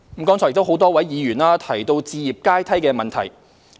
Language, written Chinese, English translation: Cantonese, 剛才多位議員提到置業階梯的問題。, A number of Members have referred to the home ownership ladder